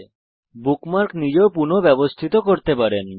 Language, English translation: Bengali, You can also rearrange the bookmarks manually